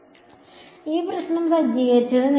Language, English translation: Malayalam, So, this is the problem set up